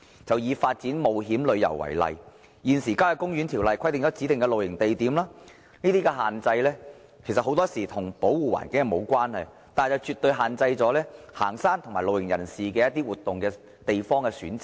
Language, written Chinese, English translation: Cantonese, 就以發展冒險旅遊為例，現時《郊野公園條例》規定了指定的露營地點，這種限制很多時候與保護環境無關，但卻絕對限制行山和露營人士對活動地方的選擇。, The existing Country Parks Ordinance stipulates designated camp sites . In many cases such stipulation has nothing to do with environmental protection but it definitely limits the venue choices of hikers and campers